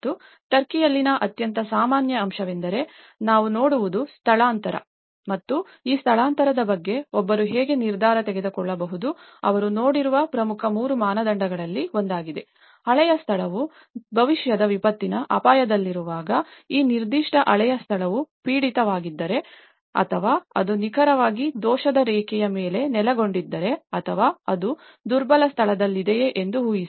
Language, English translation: Kannada, And most common aspect in Turkey, what we see is the relocation and that how one can take a decision on this relocation, one of the important three criteria they looked at one is; when the old location is at risk for the future disaster imagine, if that particular old location is prone or it is located on exactly on the fault line or is it in a vulnerable place, so that is where we located